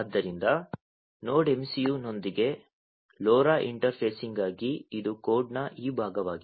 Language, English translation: Kannada, So, for the LoRa interfacing with the Node MCU this is this part of the code